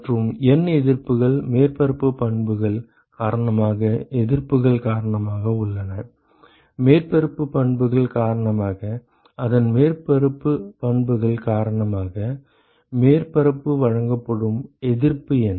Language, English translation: Tamil, And N resistances are because of the resistances due to surface properties; due to surface properties: what is the resistance offered by the surface due to its surface properties